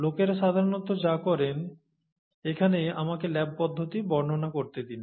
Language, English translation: Bengali, So what people normally do, let me describe the lab procedure here